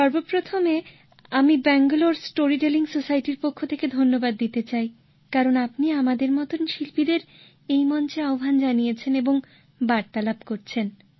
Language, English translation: Bengali, First of all, I would like to thank you on behalf of Bangalore Story Telling Society for having invited and speaking to artists like us on this platform